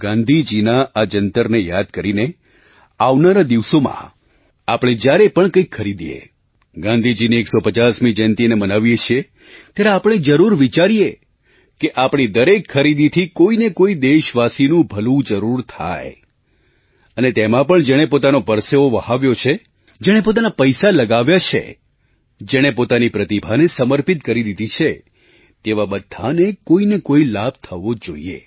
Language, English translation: Gujarati, Keeping this mantra of Gandhiji in mind while making any purchases during the 150th Anniversary of Gandhiji, we must make it a point to see that our purchase must benefit one of our countrymen and in that too, one who has put in physical labour, who has invested money, who has applied skill must get some benefit